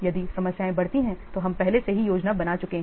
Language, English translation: Hindi, If the problems pop up then you have already done the planning